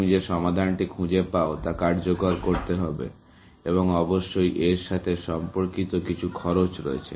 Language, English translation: Bengali, The solution that you find has to be executed, and has an associated cost, essentially